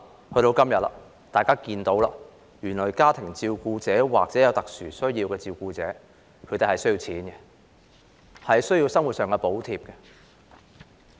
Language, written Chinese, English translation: Cantonese, 到了今天，大家看到，原來家庭照顧者或有特殊需要人士的照顧者需要金錢，需要生活上的補貼。, Today Members realize that family carers or carers of persons with special needs are in need of money and living subsidies